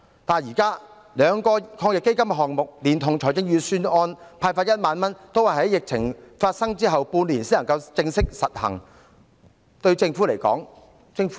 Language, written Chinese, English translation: Cantonese, 但是，現時兩輪防疫抗疫基金的項目連同預算案派發的1萬元，均要待疫情發生半年後才實行。, However the present items under the two rounds of AEF as well as the disbursement of 10,000 proposed in the Budget will not be implemented until six months after the epidemic outbreak